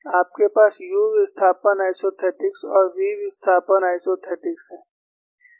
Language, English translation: Hindi, You have u displacement isothetics and v displacement isothetics